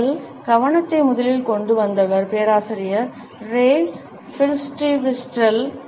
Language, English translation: Tamil, The first person who brought our attention to it was Professor Ray Birsdwhistell